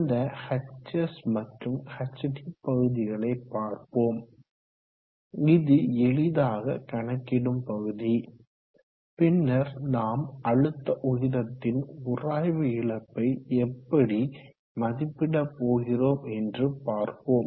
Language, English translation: Tamil, Now let us see the hs and hd part, this is the easier part and then later we will see how we go about estimating the friction loss component of the head also